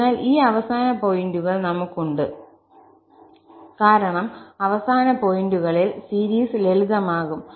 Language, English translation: Malayalam, So, thus we have at these end points because at the end points, the series will be simplified